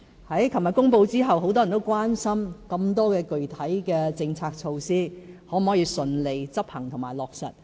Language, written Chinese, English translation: Cantonese, 昨天公布施政報告後，很多人關心，具體的政策措施有那麼多，是否都可以順利執行和落實。, Since the announcement of the Policy Address yesterday many people have been wondering whether the large number of concrete policy measures can all be executed and implemented smoothly